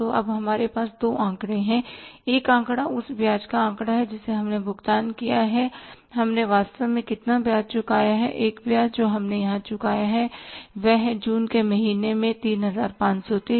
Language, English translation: Hindi, How much interest we have paid actually one interest we have paid here is that is 3530 in the month of June and one interest actually we have paid is 1530 in the month of, sorry, 3530 in the month of July and the second interest we have paid is 1530 in the month of August